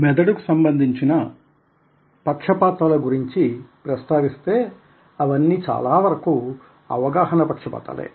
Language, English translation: Telugu, when it comes to biases of the mind, many of them are perceptual biases